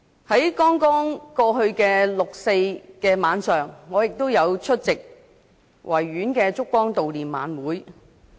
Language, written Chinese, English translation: Cantonese, 在剛過去的六四晚上，我出席了在維多利亞公園舉行的燭光悼念晚會。, In the evening on 4 June which has just past I attended the candlelight vigil in Victoria Park